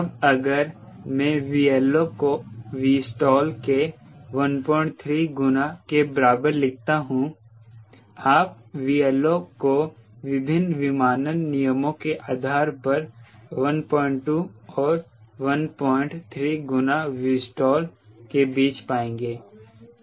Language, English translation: Hindi, now if i write v liftoff is equal to one point three times v stall, you will find between one point two and one point three times v stall is v lift off based on different aviation regulations